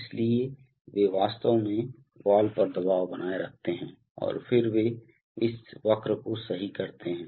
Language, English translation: Hindi, So, they actually maintain the pressure across the valve and then they characterize this curves, right